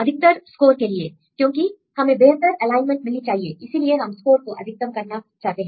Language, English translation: Hindi, Because we want to have the best alignment; so you want to maximise the score